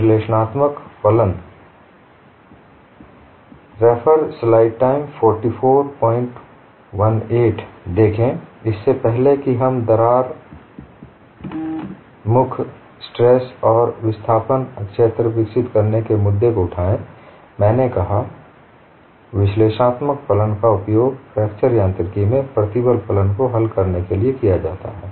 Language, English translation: Hindi, See, before we take up the issue of developing crack tips stress and displacement fields, I said analytic functions are used to coin the stress function in fracture mechanics